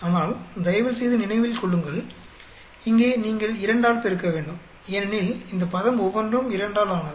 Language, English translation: Tamil, But, please remember that, here you have to multiply by 2, because each one of this term is made up of 2